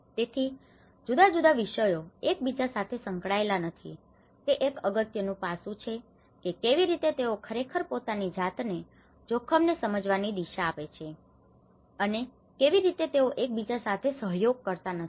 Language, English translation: Gujarati, So, different disciplines do not correlate with each other that is one important aspect of how they actually orient themselves in understanding the risk and how they do not collaborate with each other